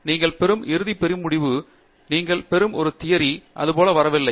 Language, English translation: Tamil, The final big result that you derive, a theorem that you derive, does not come just like that